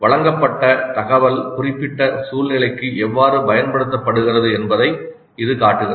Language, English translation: Tamil, This shows how the presented information is applied to specific situation